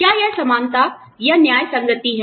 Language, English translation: Hindi, Is it equality or equitability